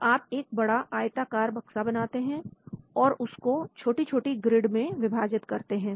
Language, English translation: Hindi, So you divide, you create like a big rectangular box and then divide into small, small grids